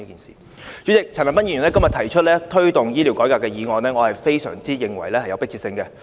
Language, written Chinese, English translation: Cantonese, 主席，陳恒鑌議員今天提出"推動醫療改革"的議案，我認為非常有迫切性。, President I think the motion on Promoting healthcare reform proposed by Mr CHAN Han - pan today is a matter of urgency